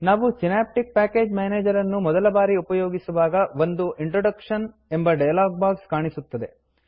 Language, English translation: Kannada, When we use the synaptic package manager for the first time, an introduction dialog box appears